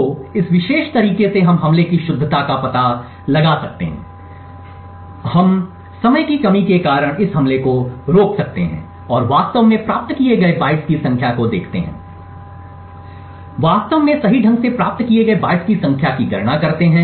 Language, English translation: Hindi, So, in this particular way we can find the correctness of the attack, so we can stop this attack due to time constraints and see the number of bytes that have actually been obtained and count the number of bytes that have actually been obtained correctly